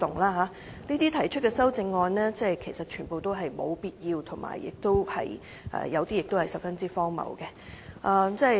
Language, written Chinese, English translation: Cantonese, 他們提出的修正案全都沒有必要，有些還十分荒謬。, The amendments proposed by them are all unnecessary with some of them being even ridiculous